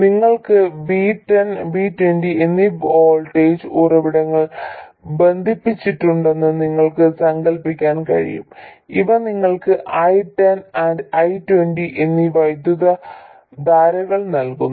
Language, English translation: Malayalam, You can imagine that you have connected voltage sources V10 and V20 and these give you currents which are I10 and I20